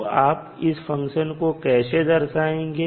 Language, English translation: Hindi, So, how you will represent mathematically